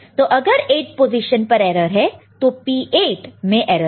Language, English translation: Hindi, So, if it is 8th position then P 8 is erroneous; P 8 is erroneous